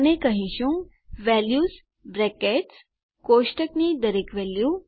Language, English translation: Gujarati, And we will say values brackets, each value of the table